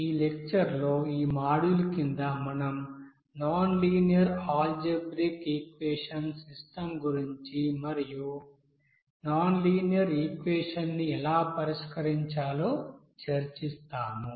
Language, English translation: Telugu, And under this module in this lecture, we will discuss about nonlinear algebraic equation system and how to solve those nonlinear equation